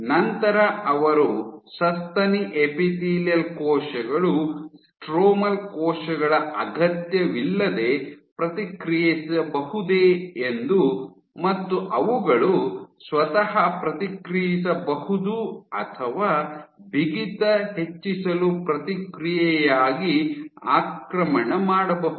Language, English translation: Kannada, So, then they did an experiment that whether the mammary epithelial cells themselves can respond without the need for stromal cells, can they themselves respond or invade in response to increase in stiffness